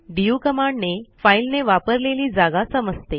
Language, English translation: Marathi, du command to check the space occupied by a file